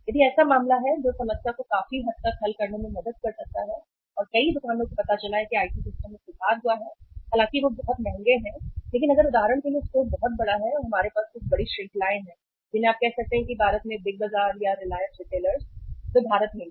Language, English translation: Hindi, If that is the case that can help the uh help to solve the problem to a larger extent and many stores have found out that improved IT systems though they are very expensive but if the store is very large for example we have some big chains you can say that Big Bazaar in India or Reliance Retailers they are in India